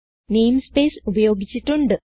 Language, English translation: Malayalam, namespace is also used here